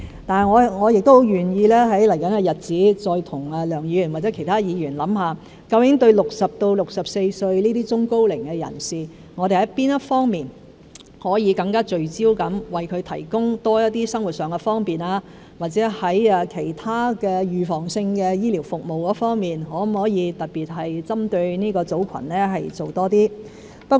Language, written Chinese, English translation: Cantonese, 不過，我很願意在未來日子再和梁議員或者其他議員共同研究，究竟對60歲至64歲這些中高齡人士，我們在哪一方面可以更聚焦地為他們提供多些生活上的方便，或者在其他預防性醫療服務方面可否特別針對這個組群做多些工作。, Nevertheless I am willing to join Mr LEUNG or other Honourable Members in future to study the issue again with a view to exploring the areas in which we may make more focused efforts to provide middle - aged and elderly people aged between 60 and 64 with more convenience in living or to examining if we can make more targeted efforts in providing other preventive medical services for people of this age group